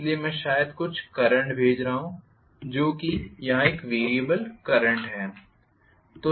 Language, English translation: Hindi, So, I am probably sending some current which is the variable current here